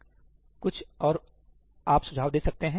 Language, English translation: Hindi, anything else you can suggest